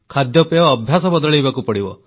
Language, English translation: Odia, The food habits have to change